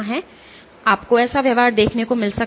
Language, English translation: Hindi, So, you might have a behaviour like this